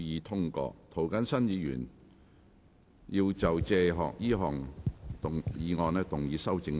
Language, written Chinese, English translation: Cantonese, 涂謹申議員要就這項議案動議修正案。, Mr James TO will move an amendment to this motion